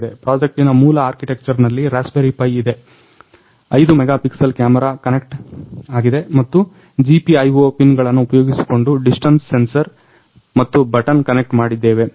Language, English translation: Kannada, The basic architecture of the; the basic architecture of the project is that there is a Raspberry Pi inside, a camera is connected to it of 5 megapixel camera and using the GPIO pins, we have connected the distance sensor and a button